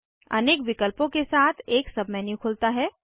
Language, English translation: Hindi, A sub menu opens with many options